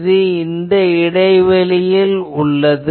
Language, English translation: Tamil, This is at the gap